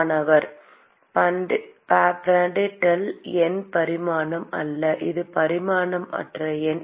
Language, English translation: Tamil, Prandtl number is non dimension, it is a dimensionless number